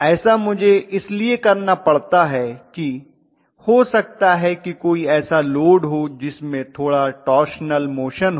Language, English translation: Hindi, If I have to do that maybe there is some kind of load which is going to have a little torsional motion